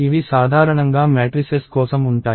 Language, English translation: Telugu, These are usually for matrices